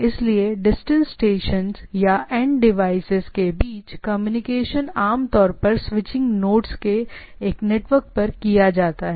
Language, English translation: Hindi, So, communication between distance stations or end devices is typically done over network of switching nodes